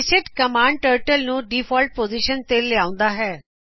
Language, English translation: Punjabi, reset command sets Turtle to default position